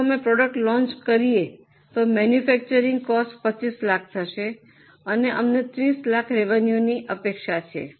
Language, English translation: Gujarati, If we launch the product, the cost of manufacture will be 25 lakhs and we are expecting a revenue of 30 lakhs